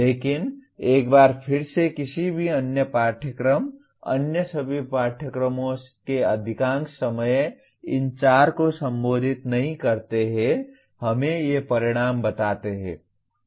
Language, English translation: Hindi, But once again any other course, all other courses most of the times do not address these four let us say these outcomes